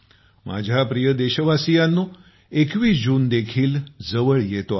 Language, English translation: Marathi, My dear countrymen, 21st June is also round the corner